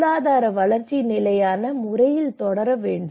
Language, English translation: Tamil, That economic development should proceed in a sustainable manner